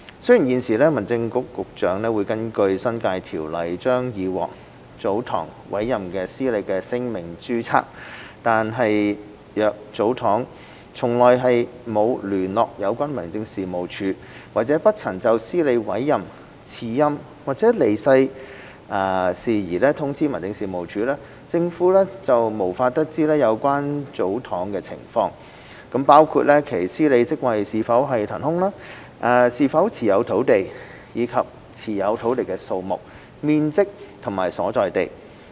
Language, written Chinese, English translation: Cantonese, 雖然現時民政事務局局長會根據《新界條例》將已獲祖堂委任的司理的姓名註冊，但若祖堂從來沒有聯絡有關民政事務處，或不曾就司理委任、辭任或離世事宜通知民政事務處，政府便無法得知有關祖堂的情況，包括其司理職位是否懸空，是否持有土地，以及持有土地的數目、面積和所在地等。, Although currently the Secretary for Home Affairs registers the name of the manager appointed by a tsotong in accordance with the New Territories Ordinance if a tsotong has never contacted the relevant District Office or has not notified the District Office of the matters on the appointment resignation or death of the manager the Government will not be able to learn about the situation of the concerned tsotong including whether the manager post of the tsotong is vacant whether there are lands held by the tsotong and the number site area and location of the lands held by the tsotong